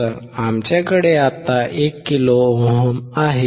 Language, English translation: Marathi, So, we have now 1 kilo ohm